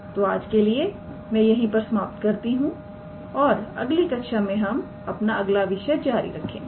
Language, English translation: Hindi, So, I will stop here for today and I will continue with our next topic in our next class